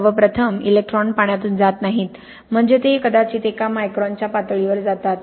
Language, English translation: Marathi, First and foremost, electrons do not pass through water, I mean they go maybe into one micron level